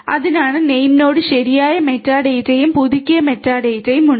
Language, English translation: Malayalam, So, that the name node has a proper you know metadata and the updated metadata in place